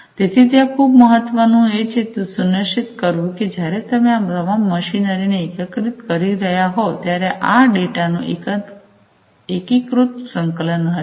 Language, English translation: Gujarati, So, there is what is very important is to ensure that there will be when you are integrating all of these different machinery, there will be seamless integration of this data